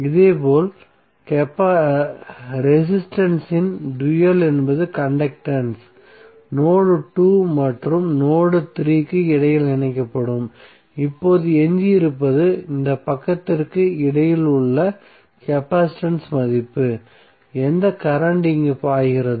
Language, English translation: Tamil, Similarly for resistance dual that is conductance will also be connected between node 2 and node 3, now next what we have left with is the capacitance value that is between this side to this side of the circuit, which current is flowing here